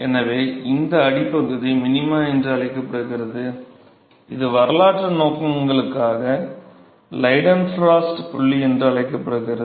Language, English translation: Tamil, So, this bottom minima is called the, this is for historical purposes, is called the Leidenfrost point ok